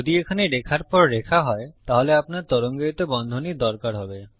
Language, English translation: Bengali, If youre going to have a line after line here, youll need the curly brackets